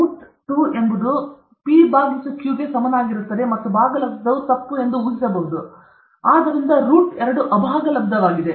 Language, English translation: Kannada, To assume that root 2 is equal to p by q and is rational was wrong; therefore, root 2 is irrational